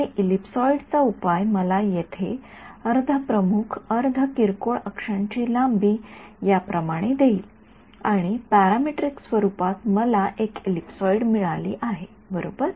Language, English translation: Marathi, And the solution to the ellipsoid will give me over here the length of the semi major semi minor axis are like this, and in parametric form I got a ellipsoid right